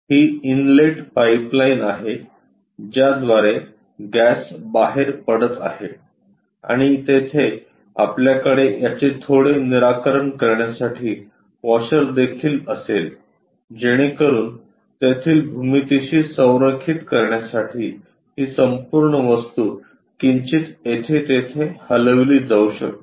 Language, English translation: Marathi, This is the inlet pipeline through which gas might be coming out and here also we will have a washer to slightly fix it, so that these entire object can be slightly moved here and there to align with the geometry